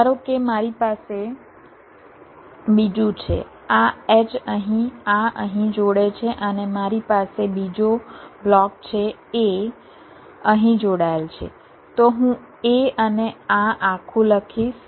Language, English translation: Gujarati, suppose i have anther this h here, this connects here, and i have another block, a, connected here